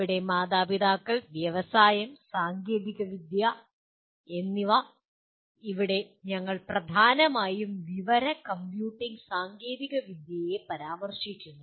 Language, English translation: Malayalam, Here the parents, industry, the technology here we mainly refer to information and computing technology